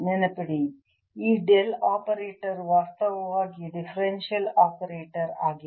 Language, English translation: Kannada, this operator is actually a differential operator